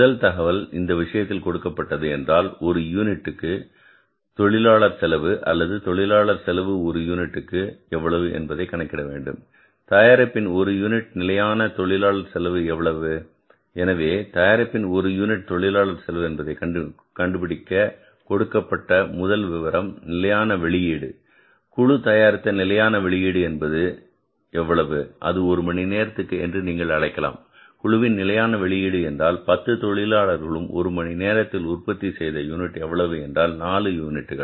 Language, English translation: Tamil, So, let's calculate this standard unit labor cost of the product and for calculating this we will have to now miss start doing certain things so what is the first information given to us in this case the first information given to us in this case is we will be miscalculating the standard unit labor cost standard unit labor cost or labor cost per unit standard unit labor cost that is asked in the question that to compute the standard unit labor cost of the product so you can calculate the standard unit labor cost of the product we are going to calculate is first information given to us is standard output of the gang, standard output of the gang is equal to how much that is you can call it as per hour standard output of the gang means all the 10 workers per hour they are going to produce how many units four units